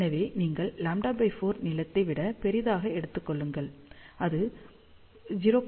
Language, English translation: Tamil, So, you have to take larger than lambda by 4 length, it can be 0